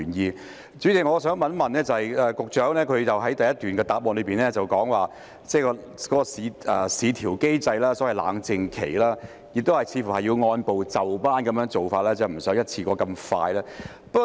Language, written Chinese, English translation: Cantonese, 代理主席，我想問的是，局長在主體答覆第一部分提到市調機制，亦即所謂的冷靜期，有關的工作似乎要按部就班地處理，而非一次過迅速地進行。, Deputy President my question is In part 1 of the main reply the Secretary mentioned VCM or the so - called cooling - off period and it seems that the relevant work will be carried out in an orderly manner rather than expeditiously in one go